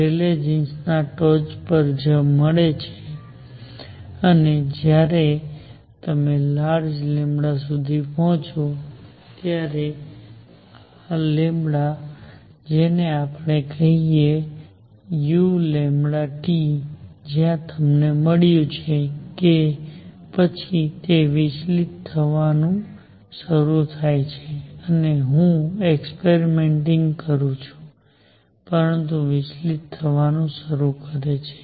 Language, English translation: Gujarati, Rayleigh Jeans is right on top right on top and when you reach large lambda, so this is lambda this is let us say u lambda T, where you got and then it is start deviating I am exaggerating it, but starts deviating